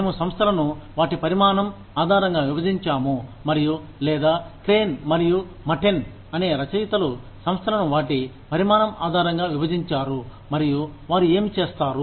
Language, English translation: Telugu, We have divided the organizations, based on their size, and or, Crane and Matten, the authors, have divided the organizations, based on their size, and what they do